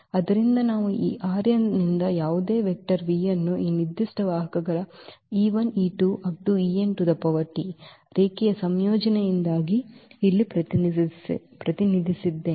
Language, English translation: Kannada, So, we can represent or we have already represented here any vector v from this R n as a linear combination of these given vectors e 1 e 2 e 3 e n